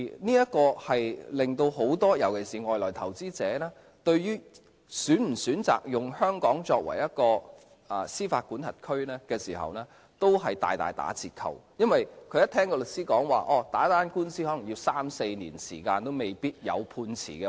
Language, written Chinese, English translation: Cantonese, 這令很多人，尤其是外來投資者，對於是否選擇以香港作為司法管轄區時，都大打折扣，因為他們聽到律師說打一宗官司可能須時三四年也未必有判詞。, This situation has significantly reduced the incentive for many people especially foreign investors to choose Hong Kong as the jurisdiction because they may have heard from their lawyers that a judgment on a lawsuit may not be given even after three or four years of legal proceedings